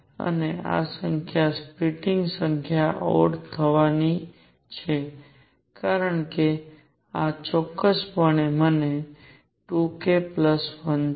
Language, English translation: Gujarati, And this number, number of splittings are going to be odd, because this is precisely 2 k plus 1